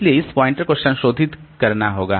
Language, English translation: Hindi, But I need to modify some of the pointers